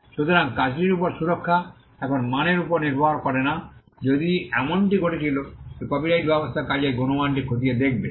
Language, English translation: Bengali, So, the protection over the work is not dependent on the quality now had it been the case that the copyright regime would look into the quality of the work